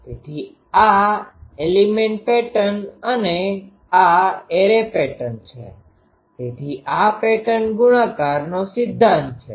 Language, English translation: Gujarati, So, element pattern and this is the array pattern so this is the principle of pattern multiplication